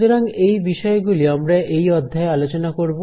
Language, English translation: Bengali, So, these are the topics that we will cover in this module